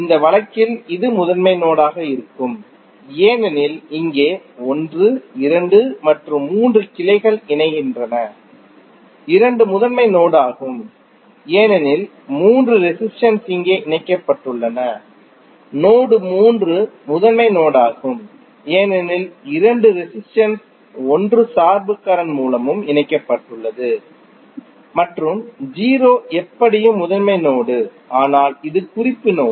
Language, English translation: Tamil, In this case this would be principal node because here 1, 2 and 3 branches are joining, 2 is also principal node because all three resistances are connected here, node 3 is also principal node because two resistances and 1 dependent current source is connected and 0 is anyway principal node but this is reference node